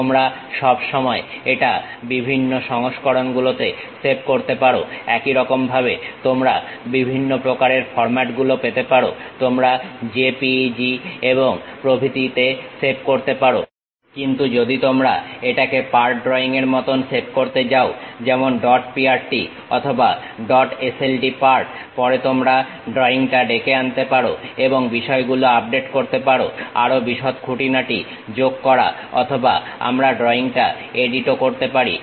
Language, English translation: Bengali, You can always save it at different versions also like you have different kind of formats JPEG you can save it and so on, but if you are going to save it like part drawing like dot prt or dot sld part, later you can really invoke the drawing and update the things, add further more details or edit the drawing also we can do